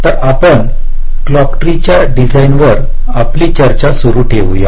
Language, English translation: Marathi, so we continue with our discussion on clock tree design